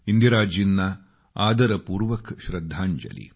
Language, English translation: Marathi, Our respectful tributes to Indira ji too